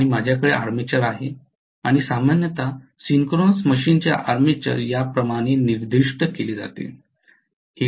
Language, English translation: Marathi, And I have an armature and normally the armature of a synchronous machine is specified like this